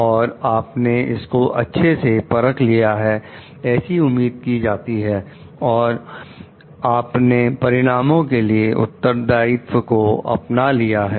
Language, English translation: Hindi, So, you have must have checked it is expected that you have checked for it and then, you own up the responsibility for the outcomes